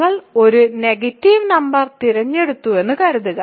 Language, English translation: Malayalam, Suppose you pick a negative number you simply take its negative